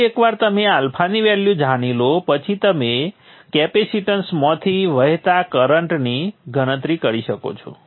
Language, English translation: Gujarati, Then once you know the value of alpha you can calculate the current that is flowing through the capacitance